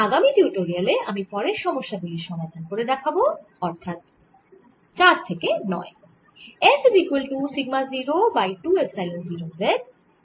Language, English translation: Bengali, in the next tutorial we'll solve the next set of problems, that is, from problem number four to nine